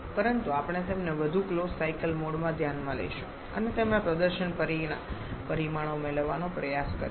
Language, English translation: Gujarati, But we shall be considering them in more closed cycle mode and trying to get their performance parameters